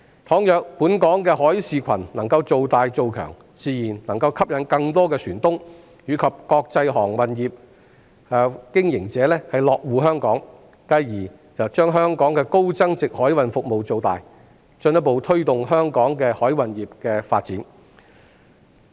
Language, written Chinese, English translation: Cantonese, 倘若本港的海事群能夠造大、造強，自然能夠吸引更多船東及國際航運業經營者落戶香港，繼而將香港的高增值海運服務造大，進一步推動香港海運業的發展。, If Hong Kongs maritime community can be expanded and enhanced it will naturally attract more shipowners and international shipping operators to set foot in Hong Kong thereby expanding Hong Kongs high value - added maritime services and further promoting the development of Hong Kongs maritime industry